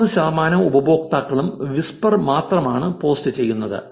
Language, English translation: Malayalam, Thirty percent of the users only post whispers